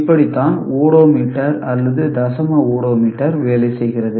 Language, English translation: Tamil, So, this is how odometer decimal odometer works